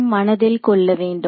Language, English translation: Tamil, So, we have to keep in mind that